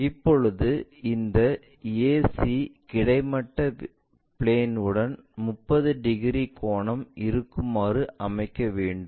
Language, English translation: Tamil, This AC diameter is making 30 degrees angle with the horizontal plane